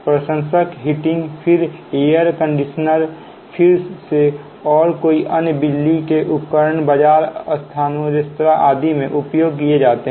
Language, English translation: Hindi, fans, heating, then air conditioning, again, and many other electrical appliances used in market places, restaurant, etc